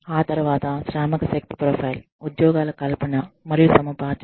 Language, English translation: Telugu, Then, the workforce profile, job creation, and acquisition